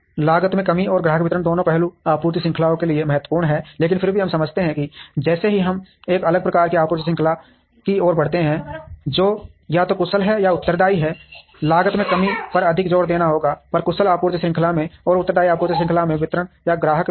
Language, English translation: Hindi, Both the aspects of cost minimization and customer delivery are important to both the supply chains, but then we understand that, as we move towards a different type of a supply chain which is either efficient or responsive there will be a lot more emphasis on cost minimization, in an efficient supply chain and delivery or customer delivery in the responsive supply chain